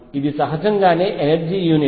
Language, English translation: Telugu, So, this is a natural unit of energy